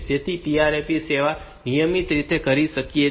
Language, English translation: Gujarati, So, this this TRAP service routine may be doing that